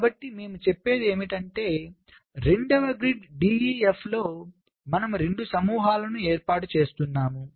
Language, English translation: Telugu, so what we were saying is that on the second grid, d e, f was there